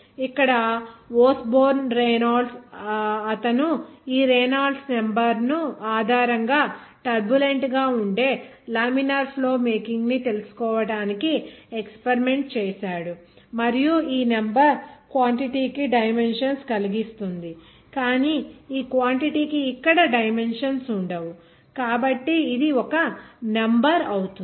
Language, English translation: Telugu, Here Osborn Reynolds he did experiment to find out the criteria of making the flow of laminar of turbulent based on this Reynolds number and this is number cause the dimension of this quantity will not have any dimensions here of this quantity so it will be a number